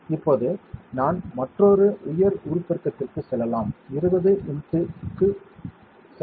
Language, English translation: Tamil, Now, let me go to another higher magnification, let me go to 20 x